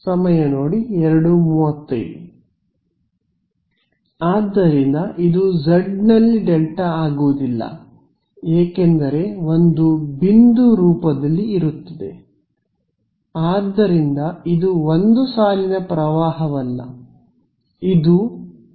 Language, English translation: Kannada, So, it will not be a delta z because there will be a point so, this is not be a line current right